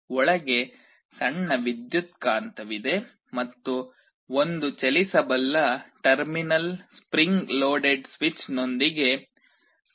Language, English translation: Kannada, There is a small electromagnet inside and there is a switch with one movable terminal spring loaded switch